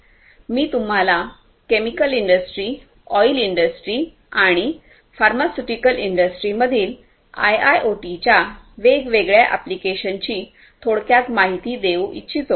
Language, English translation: Marathi, I would like to briefly expose you to the different applications of IIoT in the Chemical industry, Oil industry and the Pharmaceutical industry